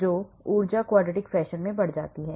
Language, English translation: Hindi, So, the energy goes up in a quadratic fashion